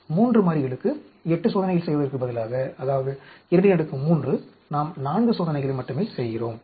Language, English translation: Tamil, Instead of doing 8 experiments for A 3 variables, namely 2 raise to the power 3, we are doing only 4 experiments